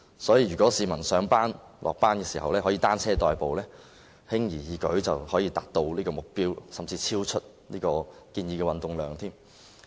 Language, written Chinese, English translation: Cantonese, 所以，如果市民上下班時以單車代步，輕而易舉便可達到這個目標，甚至超出建議的運動量。, Hence if members of the public travel to and from their workplaces by cycling they can easily achieve this target and even exceed the recommended amount of physical exercise